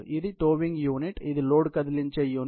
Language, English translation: Telugu, This is the towing unit; this is the unit load movement unit